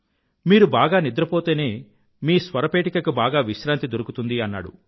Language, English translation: Telugu, Only when you get adequate sleep, your vocal chords will be able to rest fully